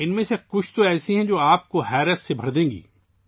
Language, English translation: Urdu, Some of these are such that they will fill you with wonder